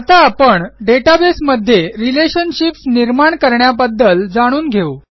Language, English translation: Marathi, Let us now learn about defining relationships in the database